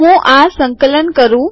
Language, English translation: Gujarati, Ill compile it